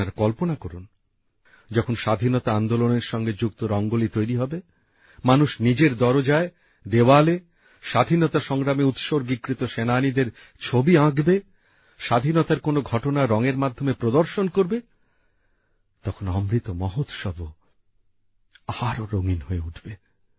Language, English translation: Bengali, Just imagine, when a Rangoli related to the freedom movement will be created, people will draw a picture of a hero of the freedom struggle at their door, on their wall and depict an event of our independence movement with colours, hues of the Amrit festival will also increase manifold